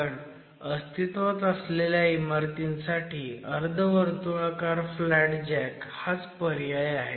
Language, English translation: Marathi, However, for existing buildings, the choice is typically on semicircular flat jacks